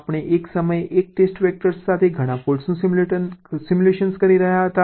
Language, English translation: Gujarati, we were simulating many faults together with one test vector at a time